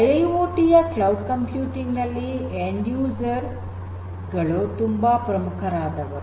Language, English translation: Kannada, So, end users are very important in cloud computing in IIoT